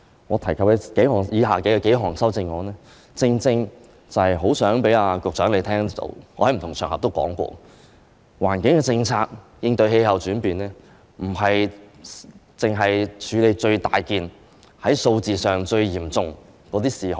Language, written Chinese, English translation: Cantonese, 我提及以下數項修正案，正正是希望局長聽到——我在不同場合都說過——應對氣候變化的環境政策，不單是為了處理最重大、在數字上最嚴重的事項。, The very reason for me to propose the following points in the amendment is that I hope the Secretary can note―as I have said on various occasions―that the goal of the environmental policy against climate change is not only to deal with the matter which is the most significant I mean the most serious in numbers